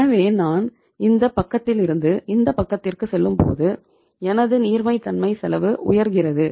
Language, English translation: Tamil, So it means if I am going from this side to this side my cost of liquidity is going up